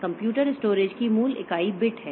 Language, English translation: Hindi, The basic unit of computer storage is bit